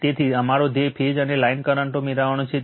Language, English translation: Gujarati, So, our goal is to obtain the phase and line currents right